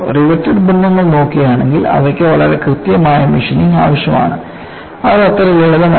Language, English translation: Malayalam, See, if you look at, riveted joints are very precise; machining is required; it is not so simple